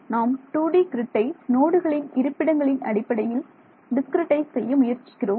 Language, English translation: Tamil, I am just trying to discretise a 2D grid in terms of node locations as well ok